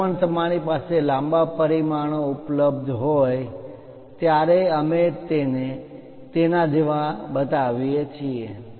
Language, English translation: Gujarati, Whenever you have available long dimensions, we show it like over that